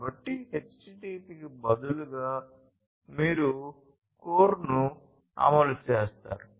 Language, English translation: Telugu, So, you know instead of HTTP you run CORE